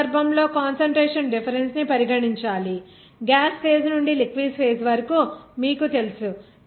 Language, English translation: Telugu, In this case, the concentration difference is to be considered, you know that from the gaseous phase to the liquid phase